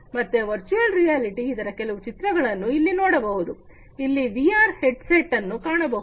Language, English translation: Kannada, So, virtual reality, you know, here we can see few pictures, this is a VR headset that you can see